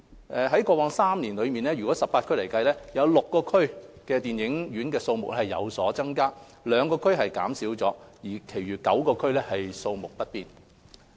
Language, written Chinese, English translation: Cantonese, 在過去3年來，在18區當中 ，6 區的電影院數目有所增加，兩區減少，其餘9區數目不變。, In the past three years the number of cinemas had increased in six districts reduced in two districts and stood the same in the remaining nine districts